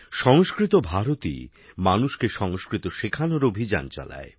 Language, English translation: Bengali, 'Sanskrit Bharti' runs a campaign to teach Sanskrit to people